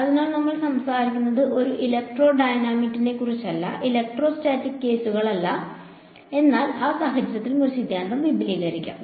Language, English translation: Malayalam, So, we are talking about electrodynamics not electrostatics cases, but a the theorem could be extended also in that case